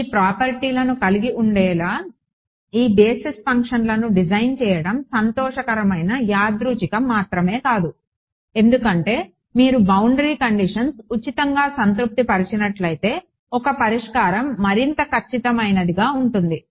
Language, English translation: Telugu, It is not just to happy coincidence that it happened the design these basis functions to have these properties because, if you are getting boundary conditions being satisfied for free a solution is bound to be more accurate ok